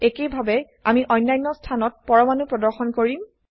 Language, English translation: Assamese, Likewise I will display atoms at other positions